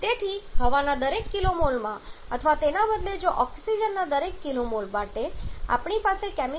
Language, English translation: Gujarati, So, in every kilo mole of air or rather if for every kilo mole of oxygen we have 3